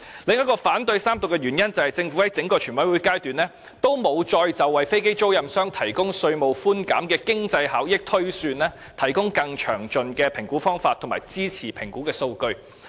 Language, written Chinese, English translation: Cantonese, 我反對三讀的另一個原因，是政府在整個全委會審議階段再沒有就為飛機租賃商提供稅務寬減的經濟效益推算，提供更詳盡的評估方法及支持評估的數據。, Another reason why I oppose the Third Reading of the Bill is that throughout the Committee stage the Government has not provided more detailed assessment method or data supporting the projected economic benefits brought by the provision of tax concessions to aircraft lessors . As pointed out by me during the Second Reading there were serious contradictions in the estimation of economic benefits